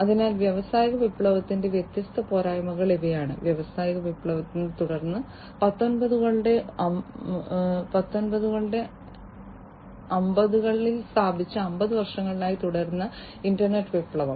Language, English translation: Malayalam, So, these are the different drawbacks of industrial revolution, the industrial revolution was followed by the internet revolution, which started around the nineteen 50s and continued for more than 50 years